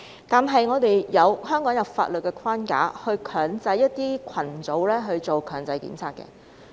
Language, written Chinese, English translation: Cantonese, 但是，香港有法律框架強制一些群組進行檢測。, However a legal framework is in place in Hong Kong mandating certain groups to undergo testing